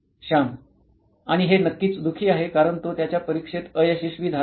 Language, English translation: Marathi, And this is again definitely sad because he is failed his test